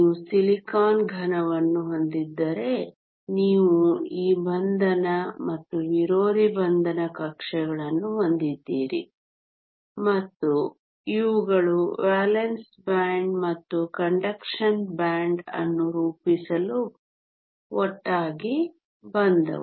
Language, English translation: Kannada, If you had a silicon solid you had a lot of these bonding and anti bonding orbitals and these came together to form the valence band and the conduction band